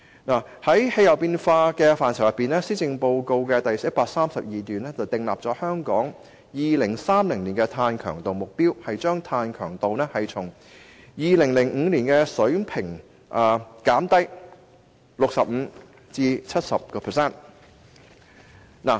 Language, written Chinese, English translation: Cantonese, 就氣候變化，施政報告第132段訂定香港在2030年的碳強度目標，將碳強度從2005年的水平減低 65% 至 70%。, Speaking of climate change paragraph 132 of the Policy Address lays down a carbon intensity target for Hong Kong in 2030 the target of reducing carbon intensity by 65 % to 70 % from the level in 2005